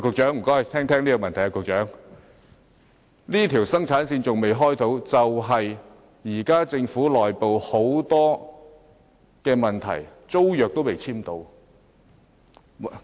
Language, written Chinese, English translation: Cantonese, 上述3條生產線仍未能啟動的原因，是政府內部有很多問題，令租約仍未能簽訂。, Owing to the various internal problems of the Government the tenancy agreement still cannot be signed thus the aforementioned three production lines cannot start operation